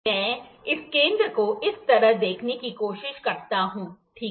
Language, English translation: Hindi, I try to see the diameter like this, ok